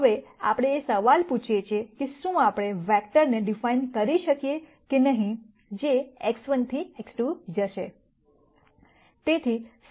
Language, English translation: Gujarati, Now, we ask the question as to, whether we can de ne a vector which goes from x 1 to x 2